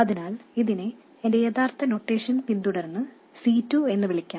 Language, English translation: Malayalam, So let me call this C2 following my original notation